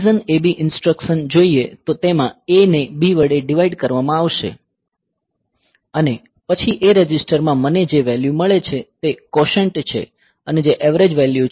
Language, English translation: Gujarati, The DIV AB instruction; so, this will be having this a divided by B and then the value that I get in the A registered is the quotient that is the average value